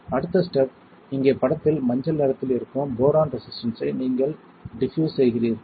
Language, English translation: Tamil, Next step is you diffuse boron resistor which is yellow colour in picture here alright